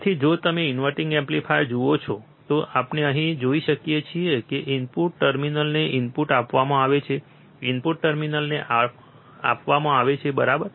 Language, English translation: Gujarati, So, if you see the inverting amplifier, we can see here, that the input is given to the inverting terminal the input is given to the inverting terminal, right